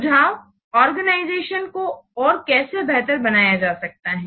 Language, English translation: Hindi, Then how an organization will be improved